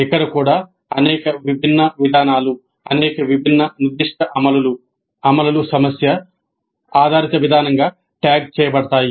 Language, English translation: Telugu, Here also several different approaches, several different specific implementations are tagged as problem based approach